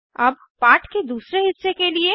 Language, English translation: Hindi, Now to the second part of the lesson